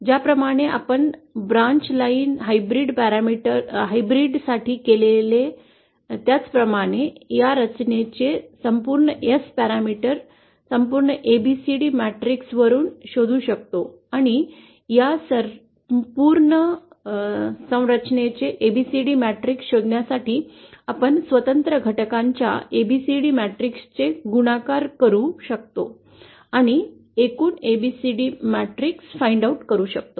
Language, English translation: Marathi, So just like we did for the branch line hybrid, the overall S parameter of this structure can be found from the overall ABCD matrix and to find out the ABCD matrix of this whole structure, we can simply multiply the ABCD matrices of the individual components and find out the overall ABC the matrix